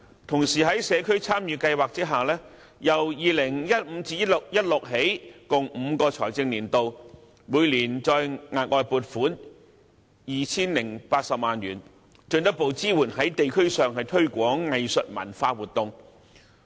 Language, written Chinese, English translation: Cantonese, 同時，在社區參與計劃下，由 2015-2016 年度起共5個財政年度，每年再額外撥款 2,080 萬元，進一步支援在地區上推廣藝術文化活動。, Meanwhile an additional annual funding of 20.8 million will be provided for community involvement programmes in the next five financial years starting from 2015 - 2016 to further strengthen the support for promoting arts and cultural activities in the districts